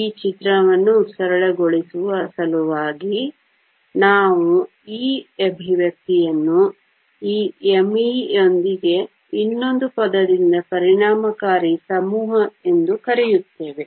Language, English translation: Kannada, In order to simplify this picture, we replace this expression with this m e by another term which we call the effective mass